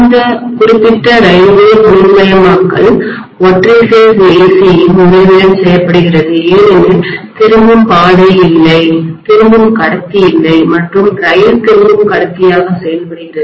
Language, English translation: Tamil, This particular railway electrification is done with the help of single phase AC because the return route is not there at all, return conductor is not there at all, the rail serves as a return conductor